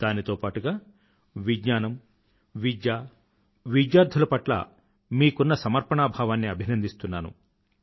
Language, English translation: Telugu, I also salute your sense of commitment towards science, education and students